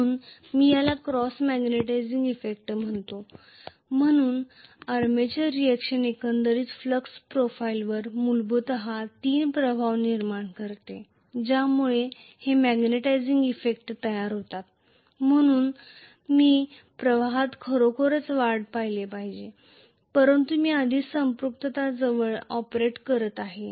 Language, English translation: Marathi, So, I call this as the cross magnetizing effect, so the armature reaction essentially create 3 effects on the overall flux profile at some point it is creating a magnetizing effect, so I should have actually seen an increase in the flux, but already I am operating close to saturation